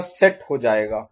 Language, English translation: Hindi, It will get set